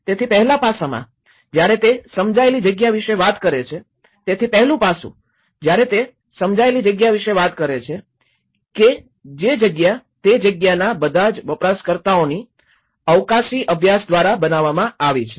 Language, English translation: Gujarati, So, the first aspect, when he talks about the perceived space, which is the space which has been produced by the spatial practice of all the users of a space